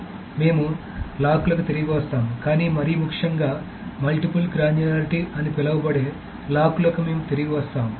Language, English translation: Telugu, But more importantly, we will return to logs in what is called a multiple granularity